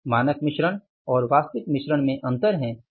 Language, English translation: Hindi, What is differing here that is the standard mix and actual mix